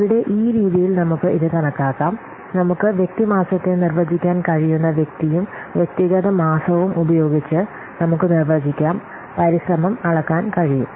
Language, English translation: Malayalam, So here in this way we can calculate this what person we can define person month and using person month we can define we can measure effort